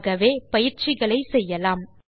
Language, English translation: Tamil, Let us try one more exercise